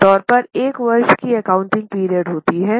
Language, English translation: Hindi, Normally there is a one year accounting period